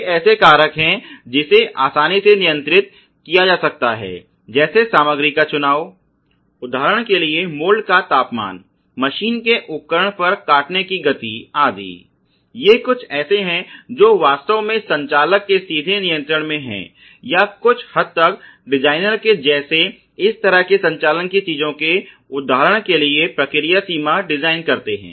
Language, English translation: Hindi, They are sort of factors which can be easily controlled such as choice of materials for example, let us say the mold temperature the cutting speed on a machine tool, these are something which are really in direct control of the operator or in direct control of even to some extent the designer ok who designs the process range for example, of operation ok things like that